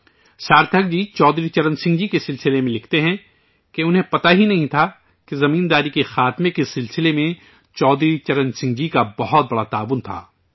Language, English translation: Urdu, On Chaudhary Charan Singh ji, Sarthak ji writes that he was unaware of Chaudhary Charan Singh ji's great contribution in the field of zamindari abolition